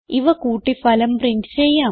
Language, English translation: Malayalam, Let us add them and print the result